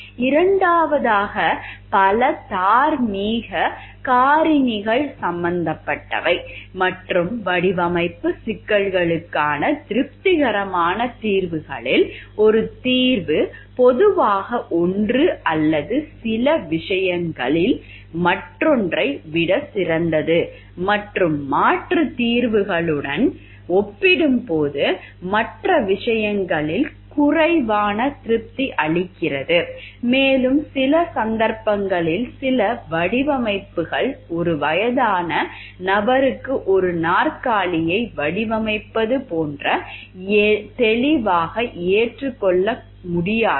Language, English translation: Tamil, Second with multiple moral factors are involved and among the satisfactory solutions for design problems, one solution is typically better than the other in one or some respects and less satisfactory in other respects when compared with alternative solutions and in some cases some designs are there which are clearly unacceptable like while designing a chair for an old person